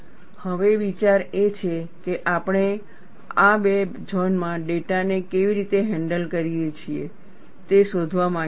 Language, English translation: Gujarati, Now, the idea is, we want to find out, how do we handle data in these two zones